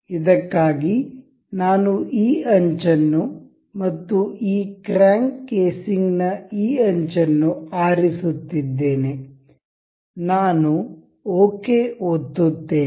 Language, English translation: Kannada, For this, I am selecting this edge and this edge of this crank casing, I will select it ok